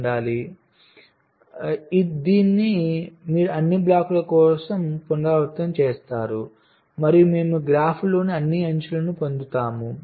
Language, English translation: Telugu, so this you repeat for all the blocks and we will getting all the edges in the graph right